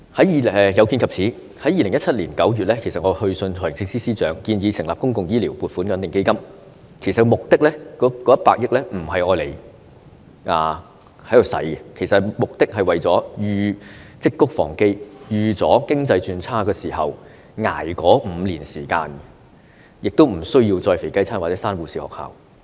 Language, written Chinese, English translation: Cantonese, 有見及此，我在2017年9月去信財政司司長，建議成立公共醫療撥款穩定基金，目的不是要動用100億元，而是為了積穀防飢，預計經濟轉差時，醫管局可以應付5年時間的開支，亦不需要再推出"肥雞餐"或關閉護士學校。, In view of this I wrote to the Financial Secretary in September 2017 proposing to set up a public healthcare stabilization fund which seeks to cope with any unexpected circumstances in the future rather than using the 10 billion . It is expected that during economic downturn HA can still afford the expenditure for five years without offering voluntary retirement packages or closing the nursing schools again